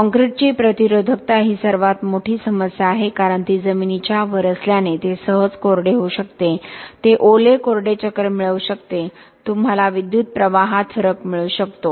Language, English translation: Marathi, Biggest issues are resistivity of concrete, because it is above ground it can dry easily, it can get wet dry cycles, you can get variations in current